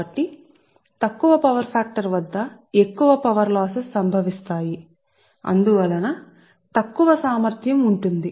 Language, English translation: Telugu, so more power losses incur at low power factor and hence poor efficiency